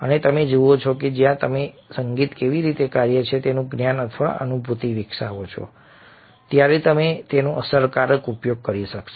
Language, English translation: Gujarati, and you see that when you develop a knowledge or realization of how music works, you are able to make effective use of it